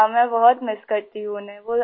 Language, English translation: Urdu, Yes, I miss him a lot